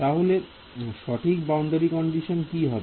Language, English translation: Bengali, What is the correct boundary condition